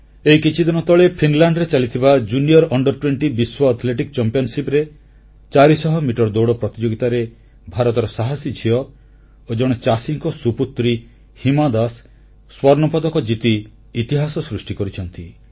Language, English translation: Odia, Just a few days ago, in the Junior Under20 World Athletics Championship in Finland, India's brave daughter and a farmer daughter Hima Das made history by winning the gold medal in the 400meter race event